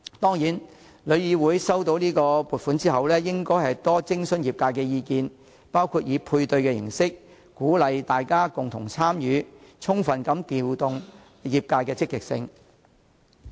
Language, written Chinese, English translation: Cantonese, 當然，旅議會於獲發撥款後，應多徵詢業界意見，包括以配對形式鼓勵大家共同參與，充分發揮業界的積極性。, Of course after receiving the funding TIC should consult the industry including engaging members of the industry on a matching basis to give full play to the proactiveness of the industry